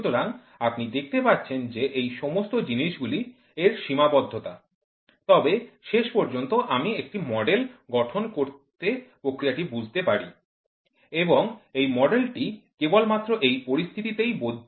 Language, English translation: Bengali, So, you see all these things are constraints, but finally, I could understand the process by developing a model and this model is valid only at these conditions